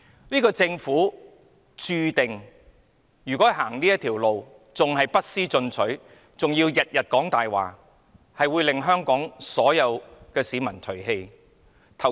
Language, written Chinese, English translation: Cantonese, 如果政府要走這條路，繼續不思進取，還要每天說謊，注定會被香港所有市民唾棄。, If the Government decides to take this approach continues to rest on its laurels and lies every day it is destined to be cast aside by all HongKongers